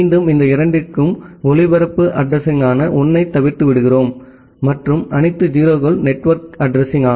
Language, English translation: Tamil, Again for these two we are omitting all 1’s which is the broadcast address; and all 0’s which is the network address